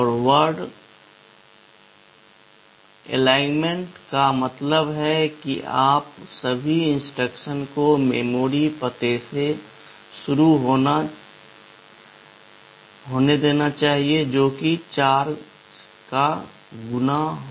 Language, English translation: Hindi, Word aligned means all instructions must start from a memory address that is some multiple of 4